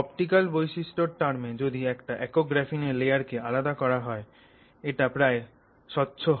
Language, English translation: Bengali, In terms of optical properties the interesting thing is if you actually separate out a single layer of graphene it is nearly transparent as a single layer